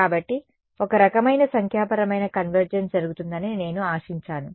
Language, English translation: Telugu, So, I would expect some kind of numerical convergence to happen